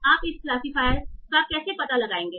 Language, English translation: Hindi, How will you build this classifier